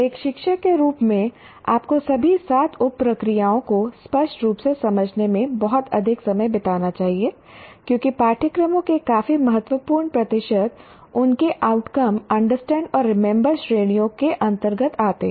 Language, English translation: Hindi, As a teacher, you should spend a lot more time in clearly understanding all the seven sub processes because quite a significant percentage of courses, they only address the outcomes dominantly come under understand and remember categories